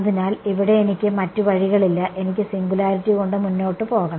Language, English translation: Malayalam, So, here I have no choice, I have to live with the singularities